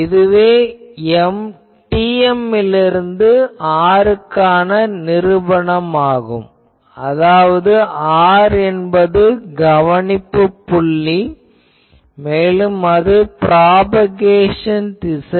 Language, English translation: Tamil, But this is the proof that we have TM to r; that means, to the r is the observation point also the propagation direction